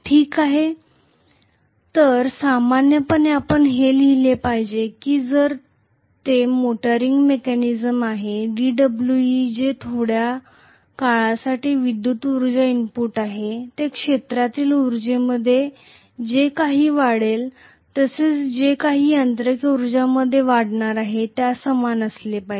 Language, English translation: Marathi, Okay, so normally we should write if it is a motoring mechanism d W e which is the electrical power input for a short duration, that should be equal to whatever is the increase in the field energy plus whatever is going to be increase in the mechanical energy plus of course losses